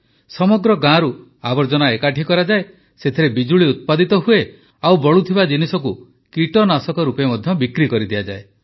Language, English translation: Odia, The garbage is collected from the entire village, electricity is generated from it and the residual products are also sold as pesticides